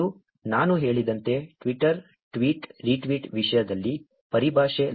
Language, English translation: Kannada, And terminology in terms of Twitter, tweet, retweet, as I said